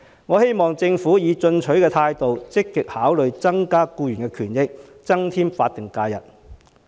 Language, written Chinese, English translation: Cantonese, 我希望政府以進取的態度積極考慮增加法定假日，以改善僱員的權益。, I hope the Government will actively and positively consider increasing the number of statutory holidays to improve the rights and interests of employees